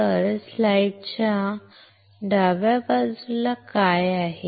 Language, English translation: Marathi, So, what is on the left side of the slide